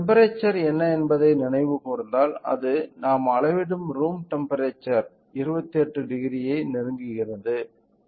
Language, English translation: Tamil, So, if you recall what was the temperature, room temperature that we measure it was around close to 28 degree